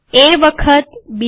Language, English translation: Gujarati, A times B